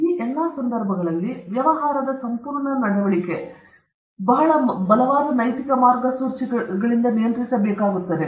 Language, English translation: Kannada, In all these context, the entire conduct of business need to be regulated by very strong ethical guidelines